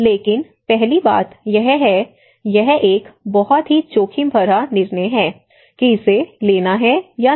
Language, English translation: Hindi, But the first thing is one has to look at; it is a very risky decision whether to take it or not